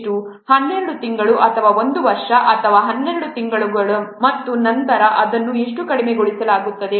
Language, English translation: Kannada, So originally it was how much 12 months or one year or 12 months and then it is subsequently reduced to how much six months